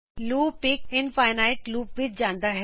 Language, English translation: Punjabi, Loop goes into an infinite loop